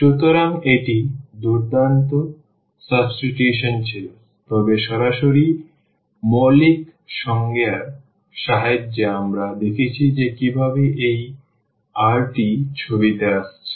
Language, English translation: Bengali, So, this was awesome substitution, but directly with the help of the basic the fundamental definition we have seen that how this r is coming to the picture